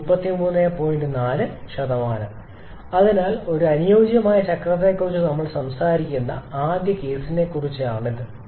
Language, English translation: Malayalam, So, this is about the first case where we are talking about an ideal cycle